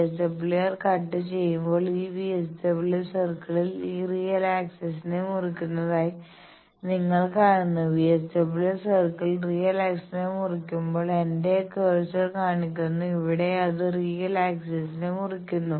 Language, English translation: Malayalam, So, when VSWR cuts, circle cuts real axis as you see this VSWR circle is cutting this real axis this, VSWR circle is cutting the real axis here, where my cursor is showing